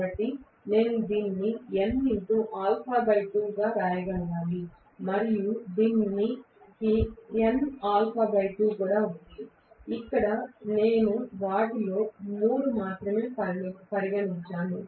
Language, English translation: Telugu, So, I should be able to write this as n alpha by 2 and this also has n alpha by 2, here I have considered only three of them, right